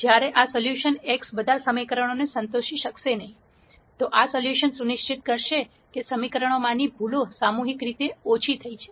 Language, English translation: Gujarati, While this solution x might not satisfy all the equations, this solution will ensure that the errors in the equations are collectively minimized